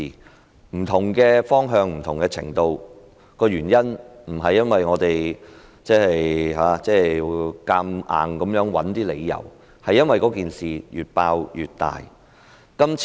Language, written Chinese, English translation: Cantonese, 我們提出不同的調查方向和程度，原因不是我們硬要找出一些理由，而是因為事件越"爆"越大。, We have proposed different directions and scales of investigation not for reasons arbitrarily cooked up by us but because the incident has been snowballing with the disclosure of more and more information